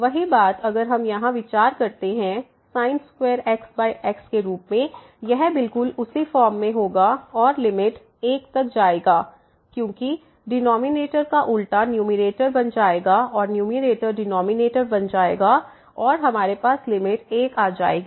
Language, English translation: Hindi, The same thing if we consider here square over x it will result exactly in the same form and will lead to the limit 1 because, we will have just the reverse the denominator will become numerator and numerator will become denominator and we will end up with limit 1